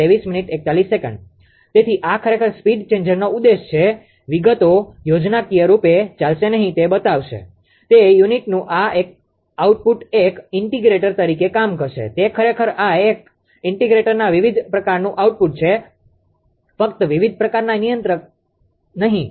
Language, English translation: Gujarati, So, this is actually speed changer moto right, details will not go the schematically will show it will act as an integrator right this output of u actually it is output of an integrator different type of controller not only integrator different type of controller